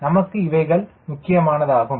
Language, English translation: Tamil, these are important thing for us